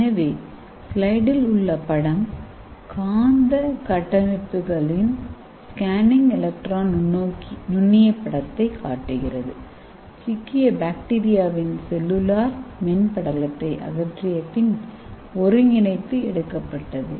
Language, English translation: Tamil, So this picture will clearly tell you so this is scanning electron microscope picture of magnetic structures assembled after removing the cellular membrane of trapped bacteria